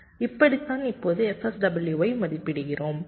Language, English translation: Tamil, this is how we just estimate f sw